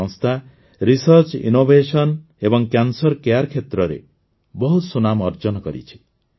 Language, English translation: Odia, This institute has earned a name for itself in Research, Innovation and Cancer care